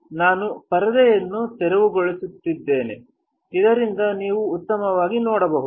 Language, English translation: Kannada, I am clearing out the screen, so that you guys can see better